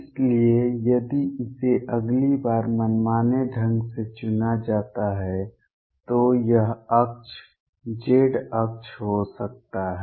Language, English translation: Hindi, So, if it is chosen arbitrarily the next time this axis could be the z axis